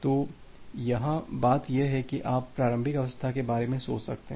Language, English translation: Hindi, So, here the thing is that this you can think of the initial state